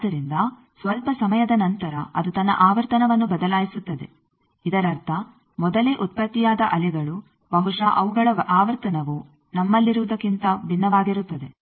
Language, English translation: Kannada, So, after some time it changes it is frequency; that means, the waves which were generated earlier maybe there their frequency was different from what we have